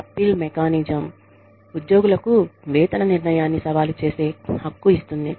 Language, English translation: Telugu, An appeal mechanism, that gives employees, the right to challenge, a pay decision